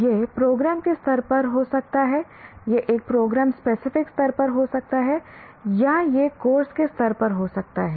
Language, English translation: Hindi, It can be at the program level, it can be at the program, a specific program level, or at the level of a course